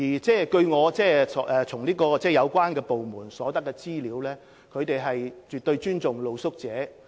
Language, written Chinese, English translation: Cantonese, 根據我從相關部門取得的資料，他們絕對尊重露宿者。, From the information I obtained from the relevant departments it is evident that they absolutely respect street sleepers